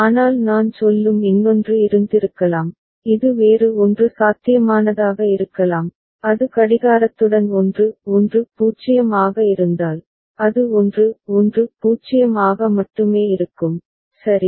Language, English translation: Tamil, But there could have been another I mean, there could have been other possible cases where if it is 1 1 0 with clocking right, it remains at 1 1 0 only, right